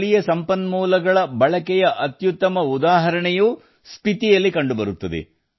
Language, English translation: Kannada, The best example of utilization of local resources is also found in Spiti